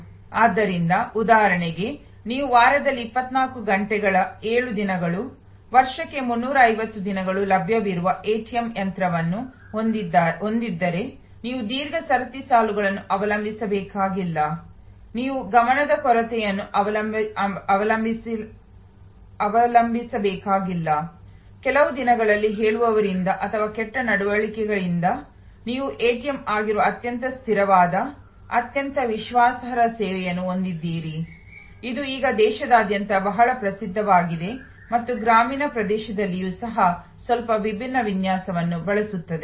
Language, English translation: Kannada, So, for example, if you have a ATM machine which is available to you 24 hours 7 days a week, 365 days a year, you do not have to depend on long queues, you do not have to depend on the lack of a attention from the teller or bad behavior from the teller on certain days, you have very consistent, very reliable service which is the ATM, which is now pretty well known around the country and used even in rural areas with a little bit different design